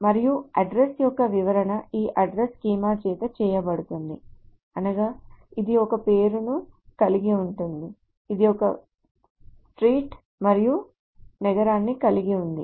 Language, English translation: Telugu, And this address schema, the description of the address is done by this address schema which is, it contains a name, it contains a street and a city